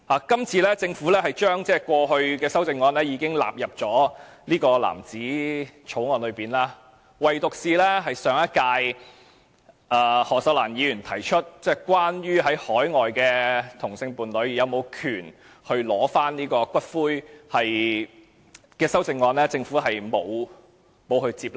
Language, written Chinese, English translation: Cantonese, 今次政府把過去大部分修正案都納入藍紙草案，唯獨是上屆的何秀蘭議員提出有關海外同性伴侶是否有權取回其伴侶骨灰的修正案，政府並沒有接納。, The Government has incorporated most of the CSAs made in the last legislative exercise in this Blue Bill except the CSA proposed by Ms Cyd HO regarding the right of an overseas same - sex partner of the deceased person to demand for the return of the ashes which was not accepted by the Government